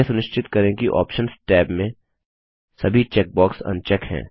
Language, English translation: Hindi, Ensure that all the check boxes in the Options tab are unchecked